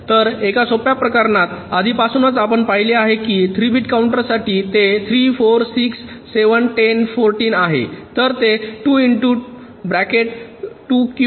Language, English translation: Marathi, so for a simple case, you see, see already you have seen for three bit counter it is how much three, four, six, seven, ten, fourteen, fourteen